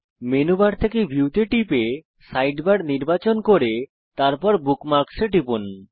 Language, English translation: Bengali, From Menu bar, click View, select Sidebar, and then click on Bookmarks